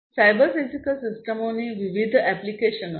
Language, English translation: Gujarati, Cyber physical systems are embedded systems